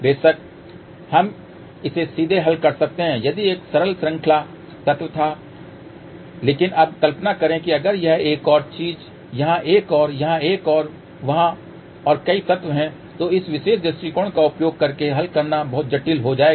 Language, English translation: Hindi, Of course, we can solve it directly if it was simple series element but now, imagine if it had a another thing here another here, another there and multiple elements are there then solving using this particular approach will become very very complicated